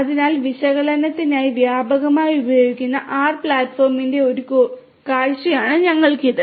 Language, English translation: Malayalam, So, what we have got is a glimpse of the R platform which is widely used for analytics